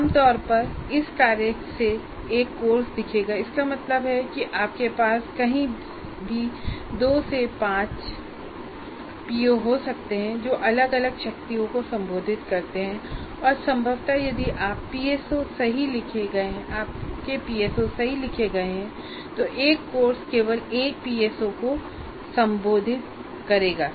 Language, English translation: Hindi, That means you may have anywhere from 2 to 5 POs addressed to varying strengths and possibly if your PSOs are written right, a course will address only one PSO